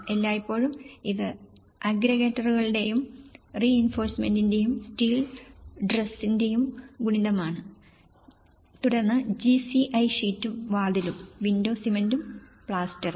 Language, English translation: Malayalam, 5:3 always it’s a multiple of the aggregates and the reinforcement steel truss and then GCI sheet and door, window cement and plaster